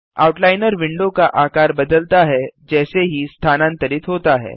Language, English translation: Hindi, The Outliner window resizes as the mouse moves